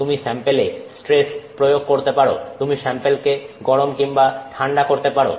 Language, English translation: Bengali, You can control a stress on the sample, you can control the temperature of the sample, you can heat the sample or cool the sample